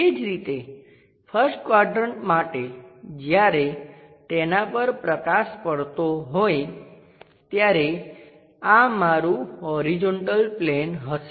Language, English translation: Gujarati, Similarly, for first quadrant when light is falling on that this will be my horizontal plane